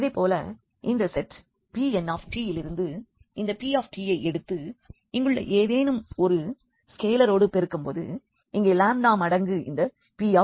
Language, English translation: Tamil, Similarly when we take this p t from this from this set P n t and if you multiply by any scalar here the lambda times this p t